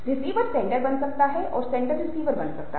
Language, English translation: Hindi, the receiver can become the sender and the sender can become the receiver